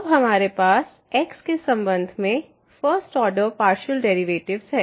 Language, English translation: Hindi, So, this will be the partial derivative with respect to